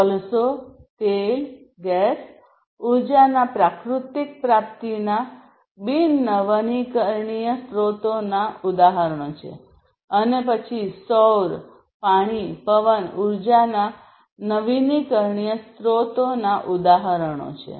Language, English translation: Gujarati, Coal, oil, gas etc are the non renewable examples of non renewable sources of natural in energy and then solar, water, wind etc are the examples of renewable sources of energy